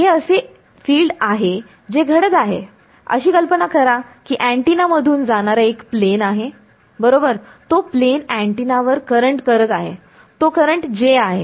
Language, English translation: Marathi, This is the field that is happening so, imagine that imagine that there is a plane wave that is falling on the antenna alright, that plane wave is inducing a current on the antenna that current is this J